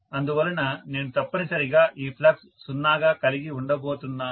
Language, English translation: Telugu, So, I am going to have essentially this flux to be 0